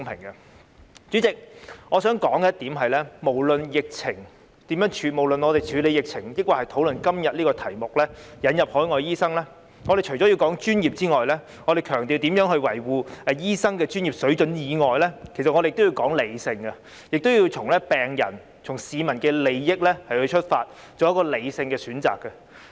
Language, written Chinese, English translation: Cantonese, 代理主席，我想指出，無論是討論如何處理疫情，抑或今天有關輸入海外醫生這議題，我們除了要說專業及強調如何維護醫生的專業水準外，我們也要說理性，亦要從病人和市民的利益出發，從而作出理性的選擇。, Deputy President I wish to point out that disregarding whether we are discussing ways to deal with the epidemic or this topic about importing overseas doctors apart from talking about professionalism and stressing how to uphold the professional standards of doctors we should also be rational in our discussion and we should consider the issue from the interests of patients and the public in order to make rational choices